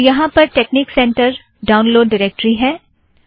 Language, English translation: Hindi, So here I have texnic center download directory